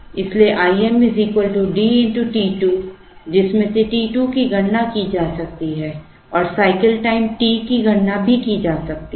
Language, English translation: Hindi, So, I m is equal to D into t 2 from which t 2 can be calculated and the cycle time t can also be calculated